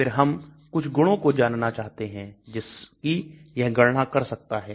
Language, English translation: Hindi, Then I want to know some of the properties which it can calculate